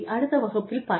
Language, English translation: Tamil, I will see, in the next class